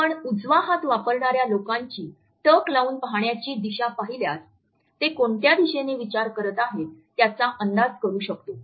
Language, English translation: Marathi, If you look at the direction of the gaze in right handed people, we can try to make out in which direction they want to think